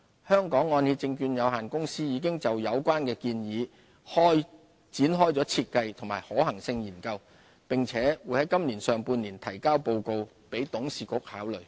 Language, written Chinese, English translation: Cantonese, 香港按揭證券有限公司已就有關建議展開設計和可行性研究，並會盡快提交報告給董事局考慮。, The Hong Kong Mortgage Corporation Limited has commenced the design and feasibility study of the proposal and will furnish a report to its Board of Directors for consideration as soon as possible